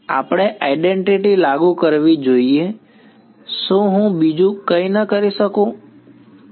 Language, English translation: Gujarati, We should apply the identity can I not do something else, so, right